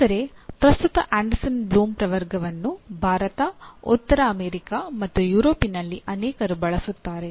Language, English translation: Kannada, But at present Anderson Bloom Taxonomy is used by many in India, North America, and Europe